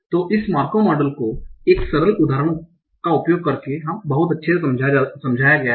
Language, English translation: Hindi, So this Markov model is best explained using the simple example